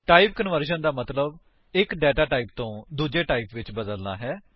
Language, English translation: Punjabi, Type conversion means converting data from one data type to another